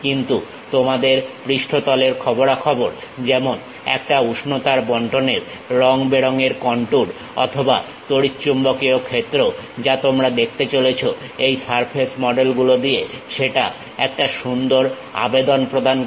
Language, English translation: Bengali, But, your surface information like a colorful contour of temperature distribution or electromagnetic field what you are going to see, that gives a nice appeal by this surface models